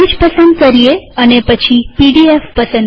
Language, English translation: Gujarati, Let us choose language and then PDF